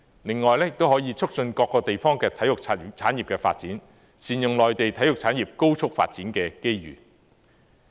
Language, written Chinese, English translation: Cantonese, 另外也可以促進各個地方體育產業的發展，善用內地體育產業高速發展的機遇。, Moreover they can promote the development of sports industries in various places capitalizing on the opportunities arising from the rapid development of sports industries in the Mainland